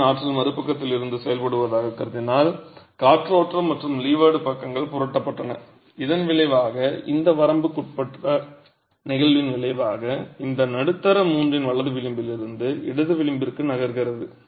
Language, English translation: Tamil, If I were to assume that the wind force is acting from the other side that the windward and the leeward sides were flipped, it means that the resultant in this limiting case basically moves from this right edge of the middle third to the left edge of the middle third but always needs to remain within the middle 1 third